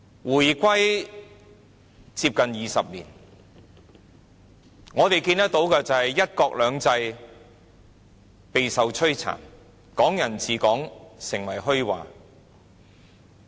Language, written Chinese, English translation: Cantonese, 回歸接近20年，我們看到"一國兩制"備受摧殘，"港人治港"成為虛話。, It has been almost two decades since the reunification and we have seen one country two systems being ravaged and Hong Kong people ruling people becoming empty words